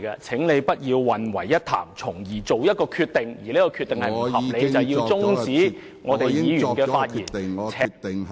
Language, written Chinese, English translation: Cantonese, 請你不要混為一談，從而作出一個不合理的決定，便是終止議員的發言......, You should not confuse the two and make an unreasonable decision of curtailing the speaking time for Members